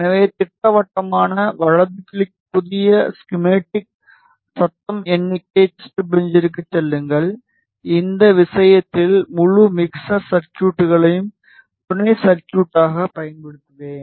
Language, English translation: Tamil, So, go to schematic, right click new schematic, noise figure test bench and in this case I will use the entire mixer circuit as a sub circuit